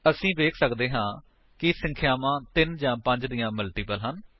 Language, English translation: Punjabi, We can see that the numbers are either multiples of 3 or 5